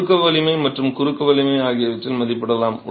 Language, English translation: Tamil, Compressive strength can be estimated, transfer strength can be estimated